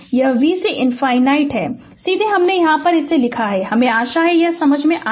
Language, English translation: Hindi, This is v c infinity directly I have written here i hope you understood this right